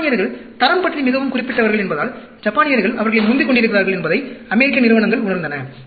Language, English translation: Tamil, American companies realized that, Japanese were overtaking them, because Japanese were very particular about quality